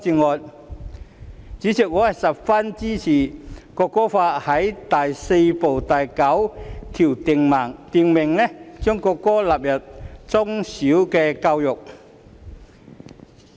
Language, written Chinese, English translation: Cantonese, 代理主席，我十分贊同《條例草案》第4部第9條訂明將國歌納入中小學校教育。, Deputy Chairman I very much agree with clause 9 in Part 4 of the Bill which provides for the inclusion of the national anthem in primary and secondary education